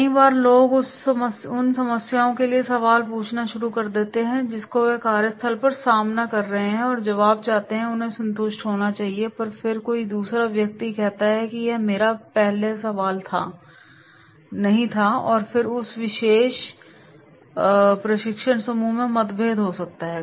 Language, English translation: Hindi, Many times people start asking questions for the problems which they are facing at the workplace and they want the answers and they should be satisfied, and then another person says no it is first my question and then there might be the conflict in that particular training group